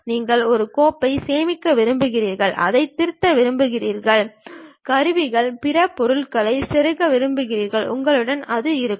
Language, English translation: Tamil, You want to save a file, you want to edit it, you want to insert tools, other objects, you will have it